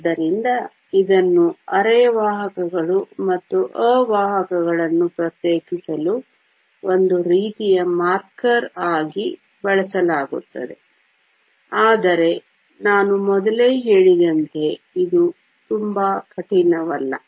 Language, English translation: Kannada, So, this is used as a sort of marker for differentiating semiconductors and insulators, but as I mentioned earlier, it is not very strict